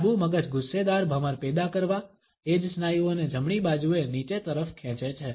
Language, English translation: Gujarati, Well, the left brain pulls the same muscles downwards, on the right side to produce an angry frown